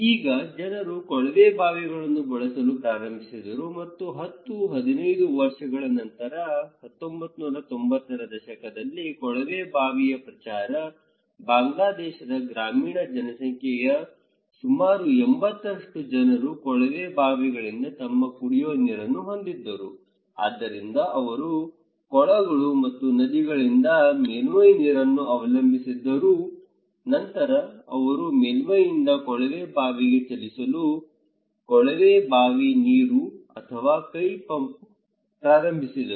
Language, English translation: Kannada, Now, people started to using tube wells and by 1990s after 10, 15 years, promotion of tube well, almost 80% of the rural population of Bangladesh having their drinking water from tube wells, so they were; they used to depend on surface water from ponds and river, then they started to move from surface to tube well; tube well water okay or hand pumps